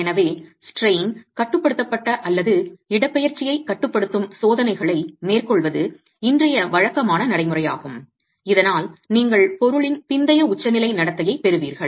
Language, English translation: Tamil, So it's standard practice today to carry out tests that are strain controlled or displacement controlled so that you get post peak behavior of the material itself